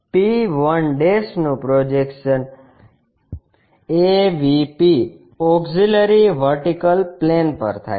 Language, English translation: Gujarati, p 1' is projection on AVP, Auxiliary Vertical Plane